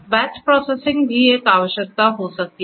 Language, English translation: Hindi, Batch processing might also be a requirement